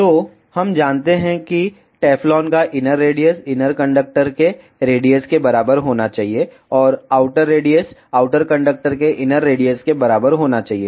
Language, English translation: Hindi, So, we know the inner radius of Teflon should be equivalent to the radius of inner conductor and outer radius should be equivalent to the inner radius of the outer conductor